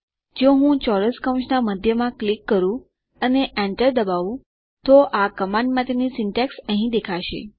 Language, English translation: Gujarati, If I click in the middle of the square brackets and hit enter, the syntax for this command will appear here